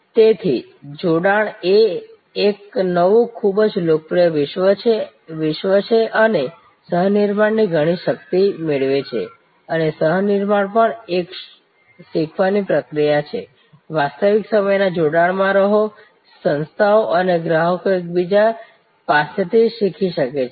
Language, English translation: Gujarati, So, fusion is a new very popular world and it derives lot of strength from co creation and co creation is also a learning process, be in real time connection, organizations and customers can learn from each other